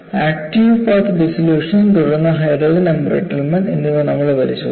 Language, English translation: Malayalam, We have looked at active path dissolution, then hydrogen embrittlement